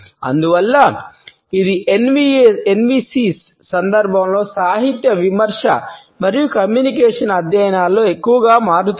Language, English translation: Telugu, And therefore, it is increasingly becoming a part of literary criticism and communication studies in the context of NVCs